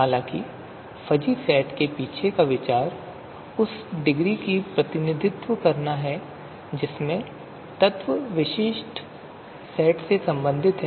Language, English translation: Hindi, However, the idea behind fuzzy sets is to represent the degrees to which elements belong to the specific sets